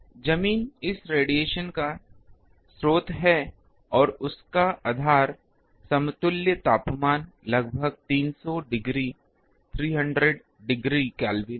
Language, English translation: Hindi, Ground is the source of this radiation and its grounds equivalent temperature is around 300 degree Kelvin